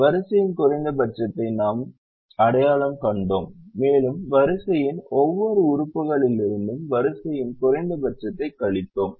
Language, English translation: Tamil, we identified the row minimum and subtracted the row minimum from every element of the row, the first row